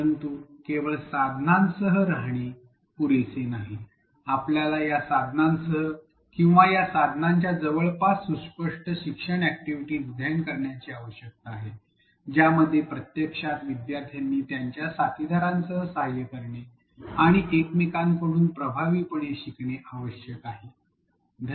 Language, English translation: Marathi, But, it is not enough to stay with the tools, we need to also design explicit learning activities along with these tools or around these tools which actually require learners to work with their peers and effectively learn from each other